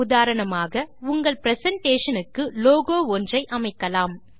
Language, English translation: Tamil, For example, you can add a logo to your presentation